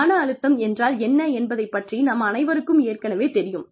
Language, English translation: Tamil, We all know, what stress is